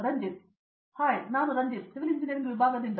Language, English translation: Kannada, Hi I am Ranjith, from the Department of Civil Engineering